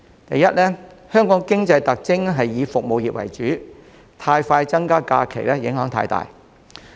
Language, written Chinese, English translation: Cantonese, 第一，香港的經濟特徵以服務業為主，增加假期的步伐太快會帶來很大影響。, Firstly given that the economy of Hong Kong is dominated by the service industries significant implications will arise if the pace of increasing the number of SHs is too fast